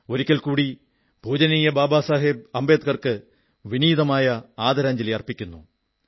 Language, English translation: Malayalam, Once again my humble tribute to revered Baba Saheb